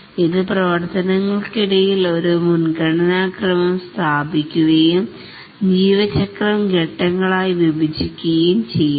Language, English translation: Malayalam, It also establishes a precedence ordering among the activities and it divides the life cycle into phases